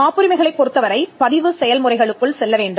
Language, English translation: Tamil, Patent Rights, you need to go through a process of registration